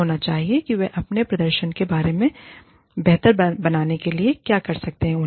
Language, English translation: Hindi, Should know, what they can do, to improve their performance